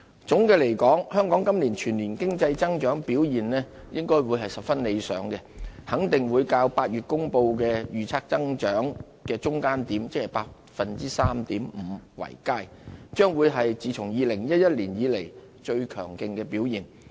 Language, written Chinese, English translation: Cantonese, 總的來說，香港今年全年經濟增長表現應該會十分理想，肯定會較在8月公布的預測增長的中間點，即是 3.5% 為佳，將會是自從2011年以來最強勁的表現。, In conclusion Hong Kong should be able to achieve an impressive economic performance for 2017 as a whole and the annual growth rate will surely be higher than the mid - point of the range forecast ie . 3.5 % announced in August the best since 2011